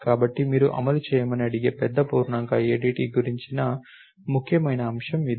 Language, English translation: Telugu, So, that is the important point about the big int ADT that you are asked to implement